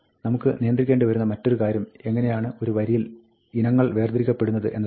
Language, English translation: Malayalam, The other thing that we might want to control is how the items are separated on a line